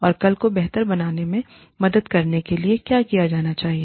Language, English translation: Hindi, And, what needs to be done, in order to help tomorrow, become better